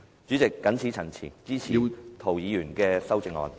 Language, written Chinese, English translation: Cantonese, 主席，謹此陳辭，支持涂議員的修正案。, With these remarks President I support the amendment of Mr James TO